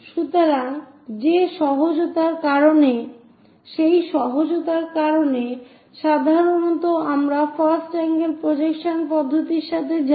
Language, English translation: Bengali, So, because of that easiness usually we go with first angle projection system